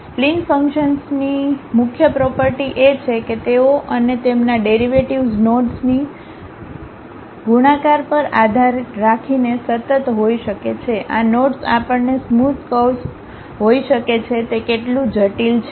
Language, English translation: Gujarati, The key property of spline functions is that they and their derivatives may be continuous depending on the multiplicity of knots, how complicated these knots we might be having smooth curves